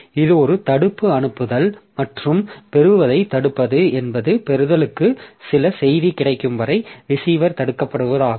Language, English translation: Tamil, So, that is a blocking send and blocking receive is that receiver is blocked until some message is available for receiving